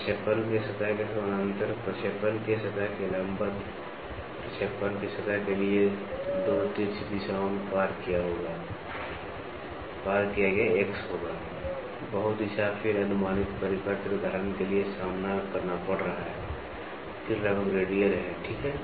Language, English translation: Hindi, Parallel to the plane of projection, perpendicular to the plane of projection crossed in 2 oblique directions to plane of projection will be X, multi direction then approximate circular for example; facing, then approximately radial, ok